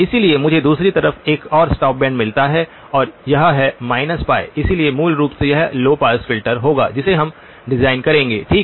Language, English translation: Hindi, So I get another stop band on the other side and this is at minus pi, minus pi so basically this would be the low pass filter that we are to design okay